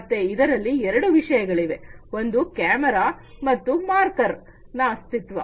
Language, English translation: Kannada, So, there are two things one is the camera and the existence of marker